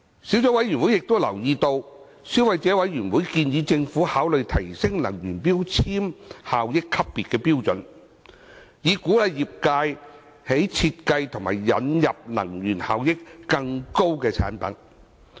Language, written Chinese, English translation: Cantonese, 小組委員會亦留意到，消費者委員會建議政府考慮提升能源效益級別標準，以鼓勵業界設計和引入能源效益更高的產品。, The Subcommittee has also noted the Consumer Councils suggestion that the Government should consider tightening the energy efficiency grading standard so as to encourage the industry to design and introduce products of higher energy efficiency